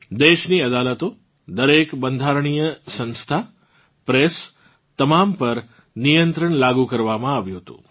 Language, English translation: Gujarati, The country's courts, every constitutional institution, the press, were put under control